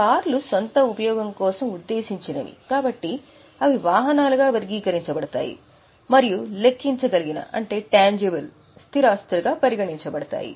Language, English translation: Telugu, Cars are meant for own use so they are classified as vehicles and put it as tangible fixed assets